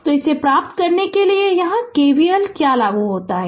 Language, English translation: Hindi, So, to get this what you do apply here K V L